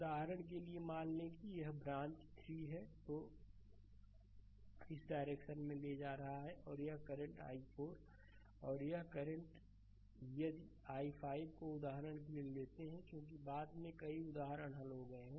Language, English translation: Hindi, For example suppose if this branch current is i 3 see I am taking in this direction, and this current say i 4 right and this this current say if we take i 5 for example, right because later because so, many examples we have solved